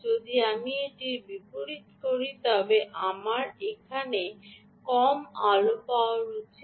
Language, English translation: Bengali, if i reverse it, i should get low light